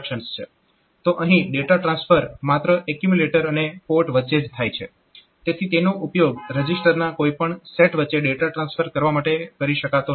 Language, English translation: Gujarati, So, data transfer takes place only between accumulator and ports, so it cannot be used to transfer between any set of registers